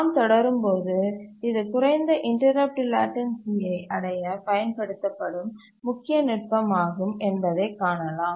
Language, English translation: Tamil, As you will see that this is the main technique that is used to achieve low interrupt latency